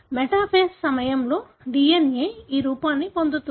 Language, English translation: Telugu, The DNA gets to this form during metaphase